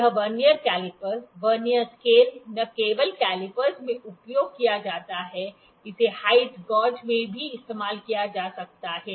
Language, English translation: Hindi, This Vernier caliper, the Vernier scale is not only used in the calipers, it can also be used in height gauge